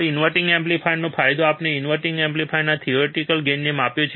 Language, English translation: Gujarati, Gain of the inverting amplifier, we have measured the theoretical gain of inverting amplifier